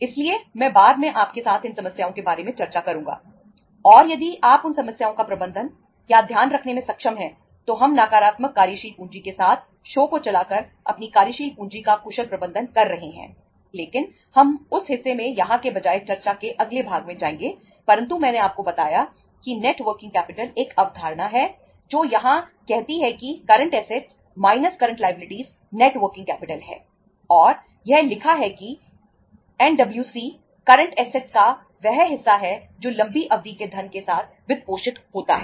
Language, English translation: Hindi, So I will discuss about these problems with you later on and if you are able to manage or to take care of those problems then we are efficiently managing our working capital by running the show with the negative working capital but we will go to that part in the next part of discussion rather than here but I told you that the net working capital is the one concept that is the say here that is current assets minus current liability is the net working capital and it is written that NWC that portion of current assets which is financed with the long term funds